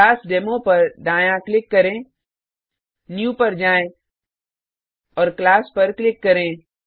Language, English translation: Hindi, So right click on ClassDemo, go to New and click on Class